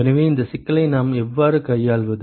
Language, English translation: Tamil, So, how do we address this problem